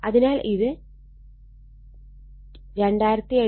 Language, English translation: Malayalam, So, it is 2840 ohm right